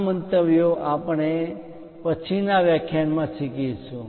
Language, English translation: Gujarati, These views we will learn in the later lectures